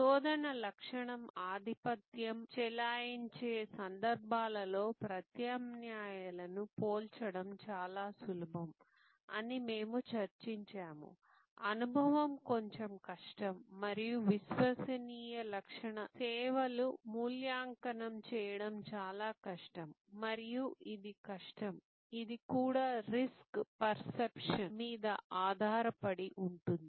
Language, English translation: Telugu, And we have discussed that it is easier to compare the alternatives in those cases, where search attribute dominates, experience is the little bit more difficult and credence attribute services are more difficult to evaluate and this easy to difficult, this is also based on risk perception